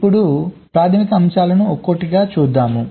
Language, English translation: Telugu, lets look at the basic concepts one by one